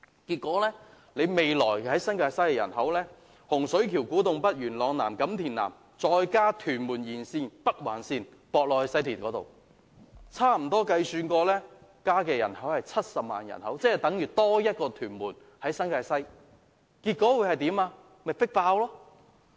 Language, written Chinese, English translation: Cantonese, 結果，未來新界西，洪水橋、古洞北、元朗南及錦田南的人口，再加上屯門沿線、北環線接駁至西鐵，計算起來，將增加70萬人口，等於新界西多了一個屯門，結果是迫爆鐵路車站。, As such in future the total population in Hung Shui Kiu Ku Tung North Yuen Long South and Kam Tim South in New Territories West together with the population along the route of Tuen Mun Link the Northern Link to be connected to the West Rail will reach 700 000 . It is like having one more Tuen Mun in New Territories West . All railway stations will be packed in that region